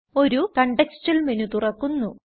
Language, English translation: Malayalam, A Contextual menu opens